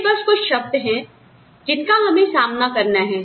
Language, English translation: Hindi, So, these are just some terms, that we will deal with